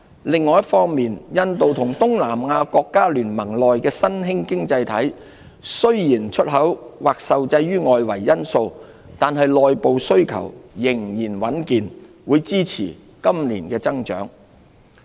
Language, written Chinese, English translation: Cantonese, 另一方面，印度和東南亞國家聯盟內的新興經濟體，雖然出口或受制於外圍因素，但內部需求仍然穩健，會支持今年的增長。, As for India and emerging economies in the Association of Southeast Asian Nations ASEAN although their exports may be constrained by external factors domestic demand will remain steady and sustain growth in 2019